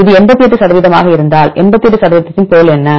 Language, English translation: Tamil, If it is 88 percent what is the meaning of 88 percent